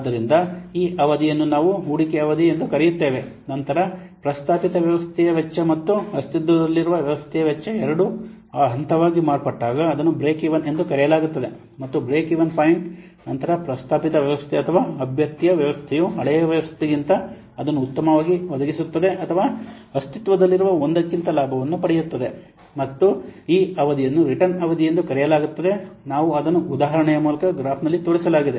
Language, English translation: Kannada, So this period we call the investment period, then when both the cost, the proposed system and the cost of the existing system they become that point is known as the break even and after the break even point what will happen the proposed system or the candidate system it will provide greater benefit greater profit than the older one or the existing one and this period is known as the return period we will show it through an example through a graph you can see that in x axis we have taken the processing volume, y axis is the processing cost